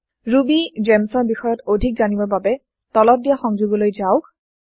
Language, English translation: Assamese, For more information on RubyGems visit the following link